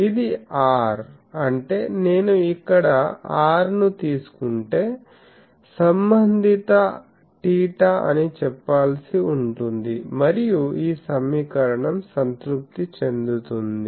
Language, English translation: Telugu, So, this is the this r; that means, if I take the r here then the corresponding theta I will have to say and this equation will be satisfied